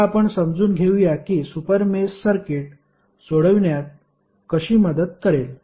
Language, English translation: Marathi, Now, let us understand how the super mesh will help in solving the circuit